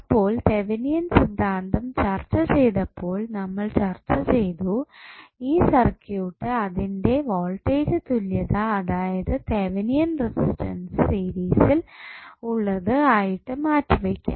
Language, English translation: Malayalam, So, when we discuss the Thevenin's theorem we discuss that this particular circuit can be replaced by its equivalent voltage in series with Thevenin resistance